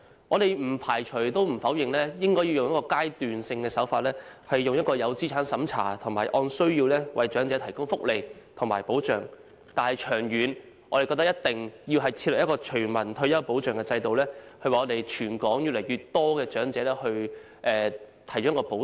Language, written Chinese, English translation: Cantonese, 我們不排除也不否認應該以階段性手法作資產審查，以及按需要為長者提供福利和保障，但長遠來說，我們認為必須設立全民退休保障制度，為全港越來越多的長者提供保障。, We do not rule out or deny the need for means tests to be implemented in phases and provision of welfare and protection to the elderly according to their needs . However in the long run we consider it a must to establish a universal retirement protection system to provide protection to the growing number of elderly in Hong Kong